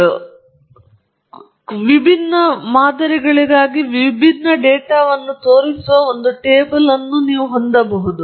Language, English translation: Kannada, There are tables; you can have a table which shows different data for different, different samples